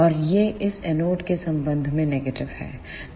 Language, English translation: Hindi, And this is negative with respect to this anode